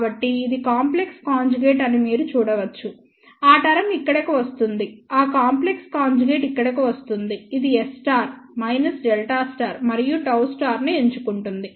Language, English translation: Telugu, So, you can see that this is complex conjugate so, that term will come here so, that complex conjugate will come over here it will pick up S 2 2 conjugate, minus delta conjugate and gamma s conjugate